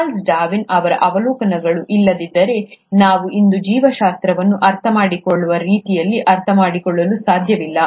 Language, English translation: Kannada, Had it not been for Charles Darwin’s observations, we would not understand biology the way we understand it today